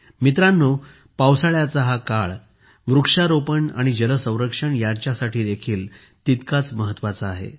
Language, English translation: Marathi, Friends, this phase of rain is equally important for 'tree plantation' and 'water conservation'